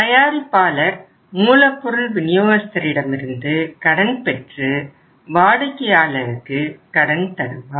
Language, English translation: Tamil, Manufacturer gets the credit from the supplier and he gives the credit to the buyer